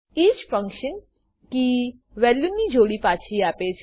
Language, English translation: Gujarati, each function returns the key/value pair